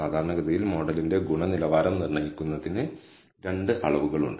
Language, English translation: Malayalam, Typically, there are two measures for determining the quality of the model